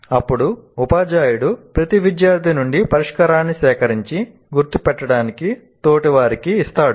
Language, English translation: Telugu, Then the teacher collects the solution from each student and gives these out for peers to mark